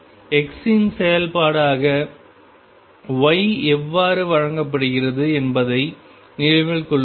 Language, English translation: Tamil, And remember how y is given as a function of x